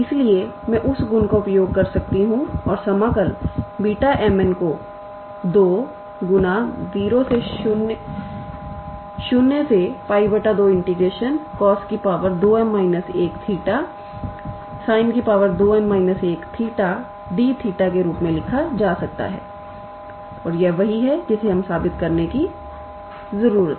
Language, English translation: Hindi, So, I can use that property and write the integral beta m n as 2 times integral from 0 to pi by 2 cos of 2 m minus 1 theta times sin of 2n minus 1 theta d theta and this is what we needed to prove, right